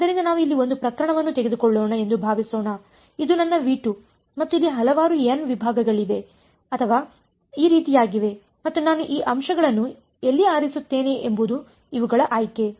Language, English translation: Kannada, So, supposing let us take one case over here this is my V 2 and there are various n segments over here or like this and it is up to me where I choose this points can I choose these